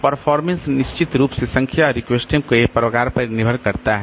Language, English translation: Hindi, Performance depends on the number and types of requests definitely